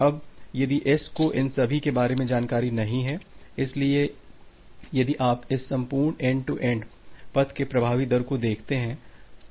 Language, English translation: Hindi, Now, if S does not know that this entire, so if you look into the effective rate of this entire end to end path